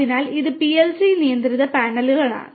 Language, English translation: Malayalam, So, this is the PLC control panel